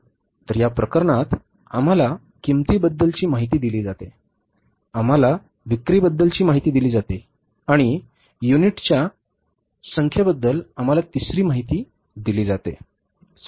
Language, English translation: Marathi, So in this case, we are given the information about the cost, we are given the information about sales, and we are given the third information about the number of units